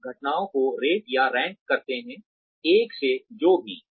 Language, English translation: Hindi, You rate or rank the incidents, from 1 to whatever